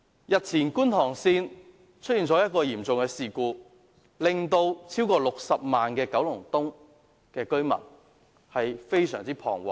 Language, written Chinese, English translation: Cantonese, 日前港鐵觀塘線出現嚴重事故，令超過60萬名九龍東居民非常彷徨。, A few days ago a serious incident happened in the MTR Kwun Tong Line which affected over 600 000 Kowloon East residents